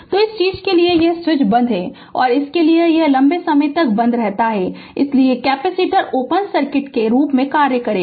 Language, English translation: Hindi, So, for this for this thing switch is closed; and for it was it remain closed for long time, so capacitor will act as open circuit